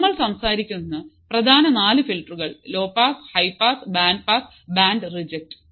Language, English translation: Malayalam, So, that is the main four filters that we are talking about: low pass, high pass, band pass and band reject